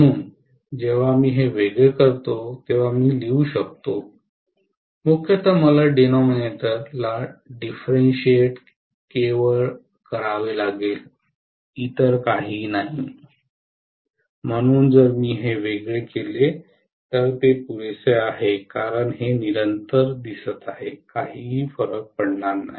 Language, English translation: Marathi, So I can write when I differentiate this I will have to mainly differentiate only the denominator, nothing else, so if I differentiate this, that is sufficient because this looks like a constant, this is not going to matter